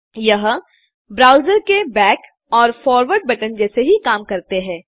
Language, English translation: Hindi, It more or less acts like the back and forward button in a browser